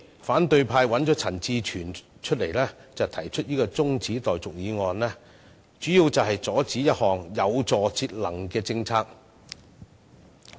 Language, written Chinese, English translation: Cantonese, 反對派的陳志全議員提出辯論中止待續議案，主要原因是為了阻止一項有助節能的政策。, Mr CHAN Chi - chuen from the opposition camp moved the motion on adjourning the debate for the main purpose of obstructing the implementation of a policy favourable to energy conservation